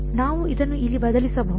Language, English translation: Kannada, We can just substitute this over here